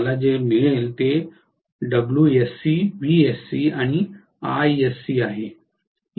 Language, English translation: Marathi, So what I get here is WSC, VSC and ISC